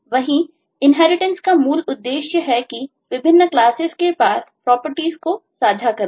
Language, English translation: Hindi, that is a basic purpose of inheritance: to share properties across classes